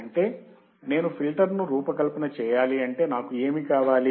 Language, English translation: Telugu, That means, that if I design a filter then what will I have